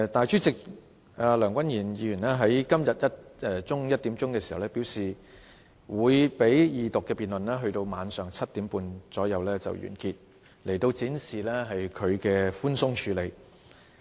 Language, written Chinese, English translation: Cantonese, 主席梁君彥議員在今天中午1時表示二讀辯論會在晚上7時30分左右完結，說已經展示他寬鬆處理。, The President Mr Andrew LEUNG said at 1col00 pm today that the Second Reading debate shall come to a close at around 7col30 pm tonight and that this shows leniency in his handling approach